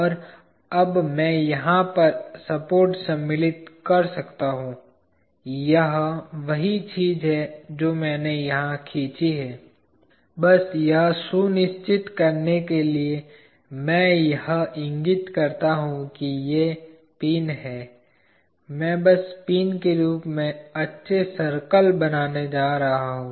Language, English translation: Hindi, And I can now insert the support over here, this is the same thing that I have drawn here, just to make sure I denote that these are pins I am just going to insert nice circles in the form of pins